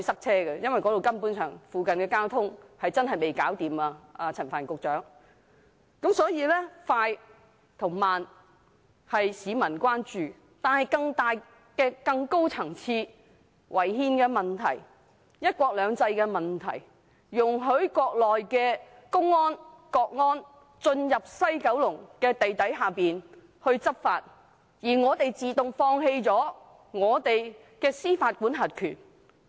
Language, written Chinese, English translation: Cantonese, 所以，雖然高鐵計劃落實的快慢為市民所關注，但"三步走"方案存在更大、更高層次的違憲問題及"一國兩制"問題，既容許國內的公安、國家安全部人員進入西九龍的地底執法，我們又自動放棄了司法管轄權。, As a result though the speed of implementation of the XRL project is a matter of public concern the Three - step Process gives rise to even greater and higher - level questions of violation of the constitution and one country two systems for it allows entry of Mainland public security and personnel of the Ministry of State Security into the underground area of the West Kowloon Station to enforce laws while we automatically give up our judicial jurisdiction